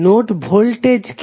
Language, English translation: Bengali, What is the node voltage